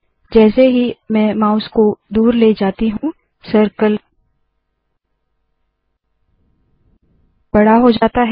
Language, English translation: Hindi, As I move the mouse, the circle becomes bigger